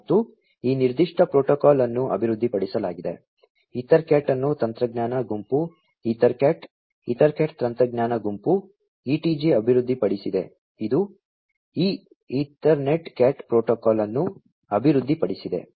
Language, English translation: Kannada, And, this was developed this particular protocol, EtherCAT was developed by the technology group EtherCat, EtherCAT technology group, ETG, this developed this Ethernet CAT protocol